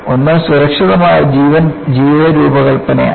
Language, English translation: Malayalam, One is a Safe life design